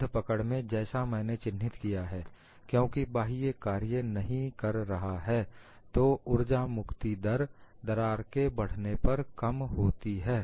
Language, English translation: Hindi, As I pointed out, in fixed grips, since external load does no work, the energy release rate decreases as the crack advances